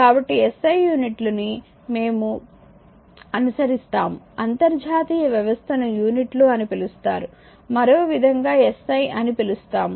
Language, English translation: Telugu, So, we follow that your what you call that SI is SI units, we call international system u of units in sort we call other way we call is SI right